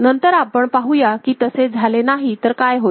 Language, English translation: Marathi, Later on we shall see if it is not the case then what will happen